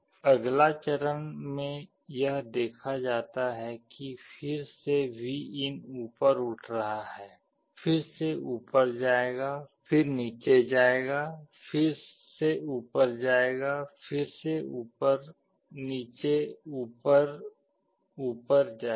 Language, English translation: Hindi, Next step it is seen that again Vin is up again it will go up, again it will go down, again it will go up, again up, down, up, up